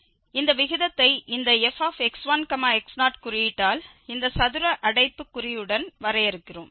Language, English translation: Tamil, We are defining this ratio by this symbol f x 1 x naught with this square bracket